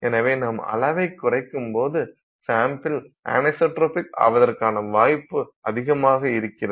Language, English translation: Tamil, So, when you go down in size you are increasing the chances that your sample is anisotropic